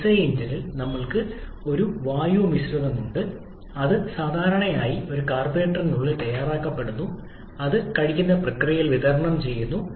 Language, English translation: Malayalam, In case of SI engine, we have a fuel air mixture which is generally prepared inside a carburetor that is supplied during the intake process